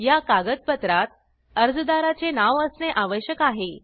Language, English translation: Marathi, These documents should be in the name of applicant